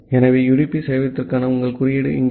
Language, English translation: Tamil, So, here is your code for the UDP server